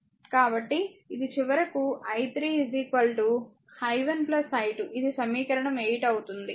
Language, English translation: Telugu, So, it will finally, become i 3 is equal to i 1 plus i 2 this is equation 8